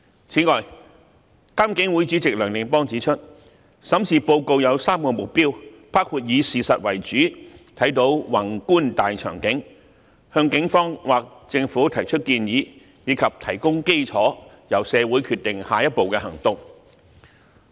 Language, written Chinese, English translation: Cantonese, 此外，監警會主席梁定邦指出，審視報告有3個目標，包括以事實為主，審視宏觀的大場景；向警方或政府提供建議；以及提供基礎，由社會決定下一步行動。, Furthermore Dr Anthony NEOH Chairman of IPCC has pointed out the three objectives of the study report including focusing on the facts and reviewing the big picture; giving recommendations to the Police or the Government; and providing a basis for the community to decide the next step of action